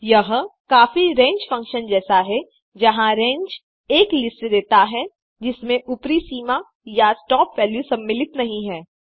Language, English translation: Hindi, This is very similar to the range function, where range returns a list, in which the upper limit or stop value is not included